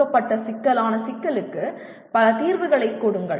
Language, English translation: Tamil, And give multiple solutions to a given complex problem